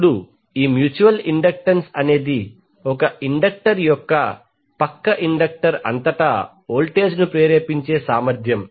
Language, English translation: Telugu, Now this mutual inductance is the ability of one inductor to induce voltage across a neighbouring inductor